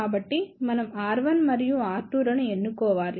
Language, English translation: Telugu, So, we have to choose the values of R 1 and R 2